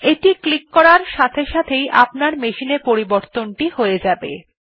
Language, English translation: Bengali, As soon as you click on that you can see that changes have applied to your machine